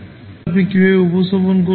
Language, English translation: Bengali, So, how you will represent them